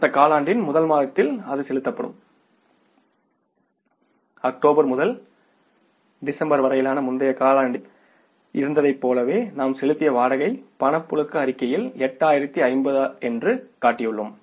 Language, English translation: Tamil, As in case of the previous quarter for the October to December, we have shown that the rent we have paid in the cash flow statement that is 8050